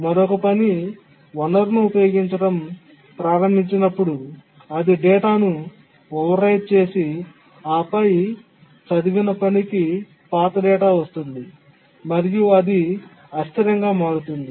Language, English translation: Telugu, Then another task which started using the resource overwrote the data and then the task that had read it has got the old data